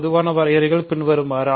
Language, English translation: Tamil, General definitions are the following